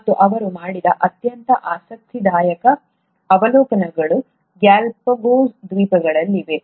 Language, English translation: Kannada, And, the most interesting observations that he made were in the Galapagos Islands